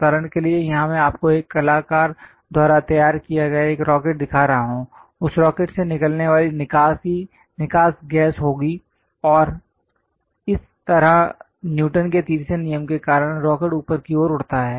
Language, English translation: Hindi, For example, here I am showing you a rocket which is drawn by an artist there will be exhaust gas coming out of that rocket, and thus giving momentum because of Newton's 3rd law, the rocket flies in the upward direction